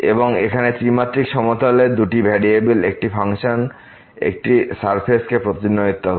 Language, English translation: Bengali, So, this a function of two variables in 3 dimensional plane here represents a surface